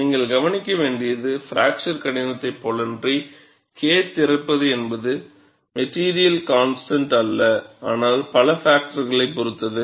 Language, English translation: Tamil, And, you have to note, unlike the fracture toughness, K opening is not a material constant; but depends on a number of factors